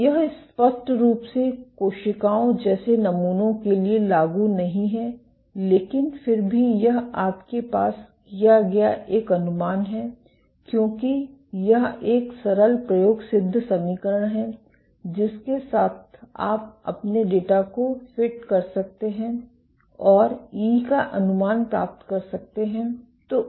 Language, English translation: Hindi, So, this is clearly not applicable for samples like cells, but still this is an approximation you make because this is a simple empirical equation with which you can fit your data and get estimates of E